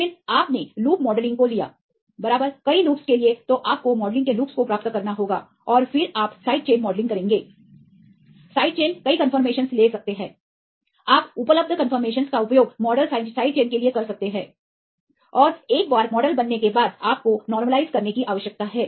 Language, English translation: Hindi, For there are several loops then you have to get the modelling the loops right and then you do the side chain modelling, the side chains can take several confirmations that you can use the available confirmations to model side chain, and once the model is built then you need to optimize